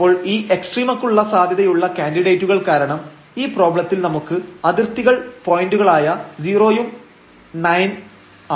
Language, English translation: Malayalam, So, the possible candidates for this extrema because again for this problem now; we have the boundary points 0 and 9